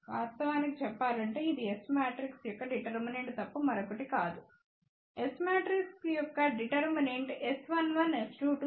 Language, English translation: Telugu, Actually, speaking it is nothing but determinant of the S matrix; determinant of S matrix will be S 1 1 S 2 2 minus S 1 2 S 2 1